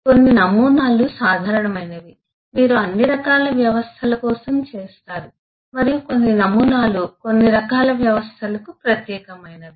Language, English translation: Telugu, you will be done for all kinds of system and some of the models are specific to certain types of systems